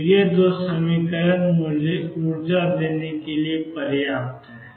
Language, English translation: Hindi, And these two equations are sufficient to give me the energy